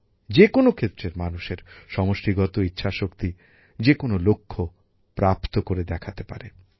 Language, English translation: Bengali, The collective will of the people of a region can achieve any goal